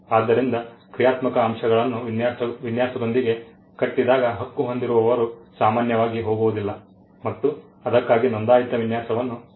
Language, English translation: Kannada, So, when functional elements are tied to the design Right holders normally do not go and get a registered design for it